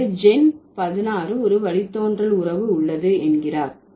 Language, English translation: Tamil, So, what Gen 16 says, there is a derivational relationship